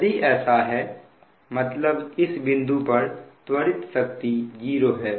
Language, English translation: Hindi, that means accelerating power is zero